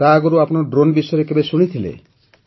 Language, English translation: Odia, So till then had you ever heard about drones